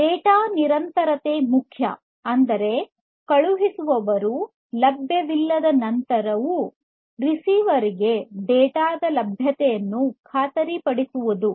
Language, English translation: Kannada, So, data persistence is important; that means, ensuring the availability of the data to the receiver even after the sender is unavailable